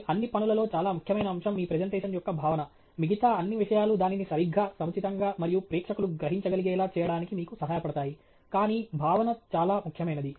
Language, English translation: Telugu, The most important aspect of all your work is your content of your presentation, all the other things help you make it a make it, present the material correctly, appropriately, and so that the audience can absorb it, but content is most important